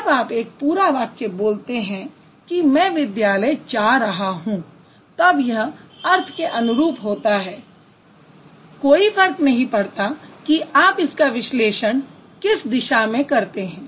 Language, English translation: Hindi, So, when you utter a total statement like I am going to school, it remains consistent as far as the meaning is concerned, no matter in which way you try to analyze it